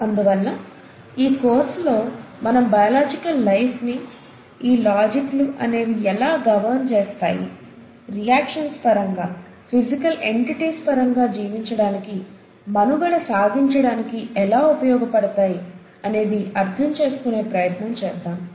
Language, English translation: Telugu, Hence, in this course, we’ll try to understand the logics of how a biological life is governed, and what is it in terms of reactions, in terms of physical entities, which help a life to survive and sustain